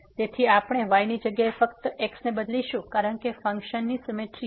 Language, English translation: Gujarati, So, we will get just instead of the y will be replaced by because of the symmetry of the functions